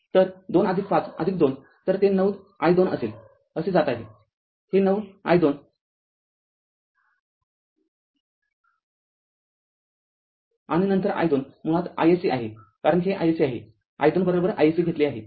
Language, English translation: Marathi, So, 2 plus 5 plus 2 so, it will be 9 i 2 moving like this 9 i 2 and then and your i 2 basically is equal to i SC, because this is i SC we have taken i 2 is equal to i s c